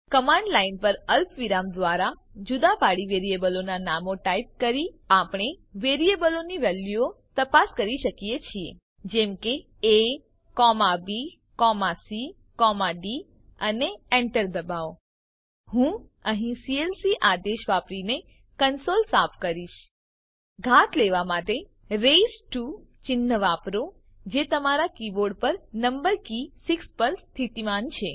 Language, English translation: Gujarati, We can check the values in the variables by typing the names of the variables separated by commas on the command line as a,b,c,d and press enter I will clear the console here using the clc command To take the power, use the raised to symbol which is located on the number key 6 of your keyboard